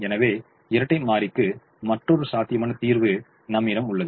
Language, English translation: Tamil, so i have another feasible solution to the dual